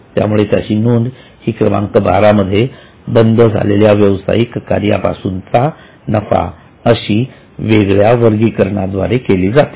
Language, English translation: Marathi, So, it is to be separately categorized in 12 as profit from discontinuing operations